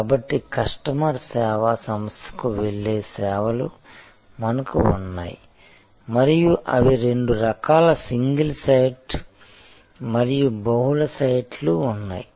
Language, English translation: Telugu, So, we have services where customer goes to the service organization and they are there are two types single site and multiple site